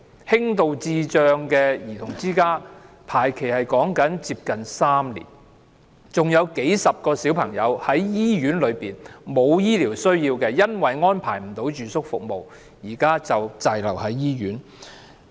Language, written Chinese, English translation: Cantonese, 輕度智障兒童之家宿位的輪候時間接近3年；還有幾十個小朋友本身沒有醫療需要，卻因為未獲安排住宿服務而滯留醫院。, The waiting time for places in small group homes for mildly mentally handicapped children is nearly three years . And there are dozens of children who require no medical care but are nonetheless stranded in hospitals because no residential service arrangements can be made for them